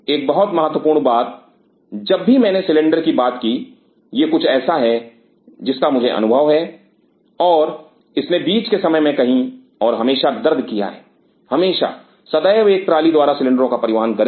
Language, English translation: Hindi, Another important thing whenever I talked about cylinder this is something I have experience and it has pained mid time and again always, always, always by a trolley to transport the cylinders